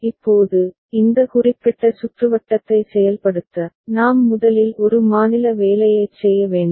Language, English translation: Tamil, Now, to implement this particular circuit, we need to first do a state assignment ok